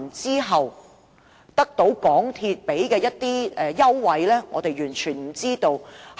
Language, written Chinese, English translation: Cantonese, 究竟對我們的下一代或再下一代影響有多深遠，我們也不知道。, Meanwhile we have no idea about how profound the impact will be to our next generation or the generation thereafter